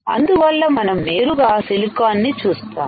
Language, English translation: Telugu, So, we can directly see silicon